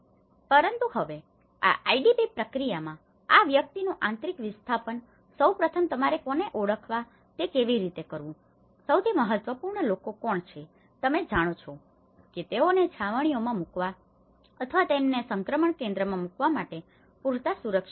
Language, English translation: Gujarati, But now in this IDP process, the internal displacement of these persons, first of all how to identify whom, who is the most important people to be you know secured enough to put them in the camps or to put them in the transitional centre